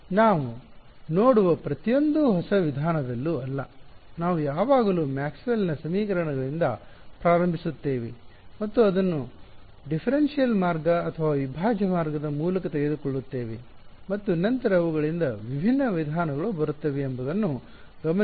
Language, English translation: Kannada, See notice that, in almost not almost in every single new method that we come across, we always just start from Maxwell’s equations and either take it through a differential route or a integral route and then different methods come from them